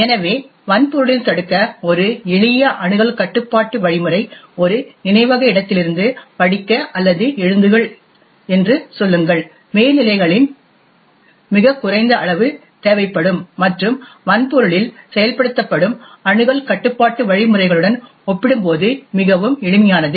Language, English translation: Tamil, So, in hardware for example a simple access control mechanism to prevent say reading or writing from one memory location would require far less amounts of overheads and far more simple compare to the access control mechanisms that are implemented in the hardware